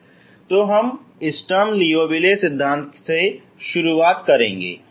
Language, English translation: Hindi, So this we move on to Sturm Liouville theory